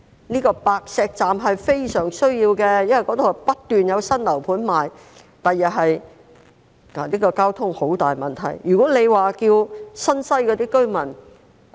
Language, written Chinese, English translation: Cantonese, 這個白石站是非常有需要的，因為那裏不斷有新樓盤銷售，將來交通是一個十分大的問題。, This Pak Shek station is very much needed because new housing developments have been continuously put up for sale there and transport will become a huge problem in future